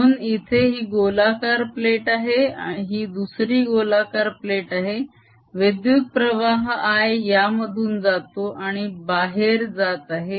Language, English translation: Marathi, so here is the circular plate, here is the other circular plate current i is coming in, i t and its going out